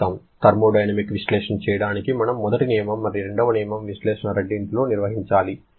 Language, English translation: Telugu, To perform a thermodynamic analysis, we have to perform both first law and second law analysis